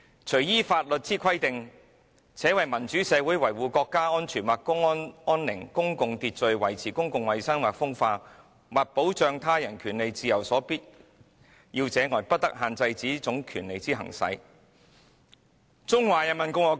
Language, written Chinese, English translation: Cantonese, 除依法律之規定，且為民主社會維護國家安全或公共安寧、公共秩序、維持公共衞生或風化、或保障他人權利自由所必要者外，不得限制此種權利之行使。, No restrictions may be placed on the exercise of this right other than those imposed in conformity with the law and which are necessary in a democratic society in the interests of national security or public safety public order ordre public the protection of public health or morals or the protection of the rights and freedoms of others